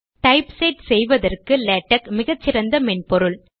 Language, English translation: Tamil, Latex is an excellent typesetting software